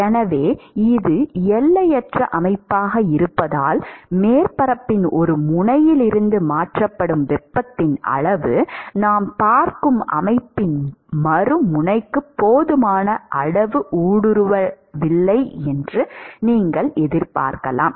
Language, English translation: Tamil, So, because it is infinite system, you could expect that the amount of heat that is transferred from one end of the surface is not penetrated sufficiently enough to the other end of the system that we are looking at